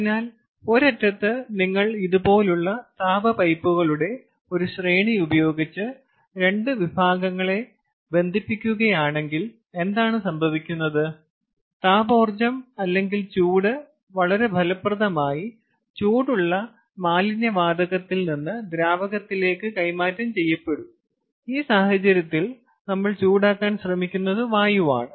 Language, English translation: Malayalam, so on one end, if you just connect the two sections by by a, by an array of heat pipes like this, what happens is the thermal energy or heat will be conducted very, very effectively, with minimal temperature drop from the hot waste gas or other hot gas which would otherwise have been wasted, to the fluid which we want, in this case air, which we are trying to heat up